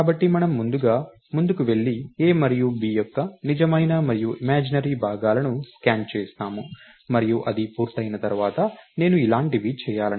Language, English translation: Telugu, So, we first go ahead and scan the real and imaginary parts of a and b, and once that is done, I would like to do something like this